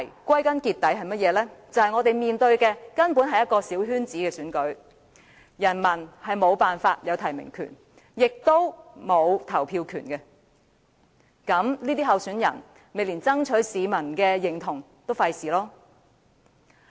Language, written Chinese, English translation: Cantonese, 歸根究底，問題是我們面對的根本是一場小圈子選舉，市民無法取得提名權，也沒有投票權，所以，這些參選人也懶得爭取市民的支持。, The root of the problem is that this election is actually a small - circle election in which the public do not have the right to make nomination or vote . Therefore these aspirants did not even bother to win popular support